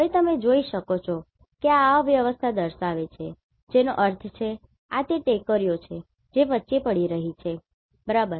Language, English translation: Gujarati, Now, you can see this is showing this undulations that means, these are the hills which are falling in between, right